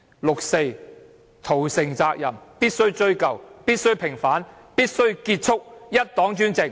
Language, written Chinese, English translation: Cantonese, 六四屠城責任必須追究、必須平反，必須結束一黨專政。, Responsibilities for the 4 June massacre must be pursued the 4 June incident must be vindicated and one party dictatorship must be brought to an end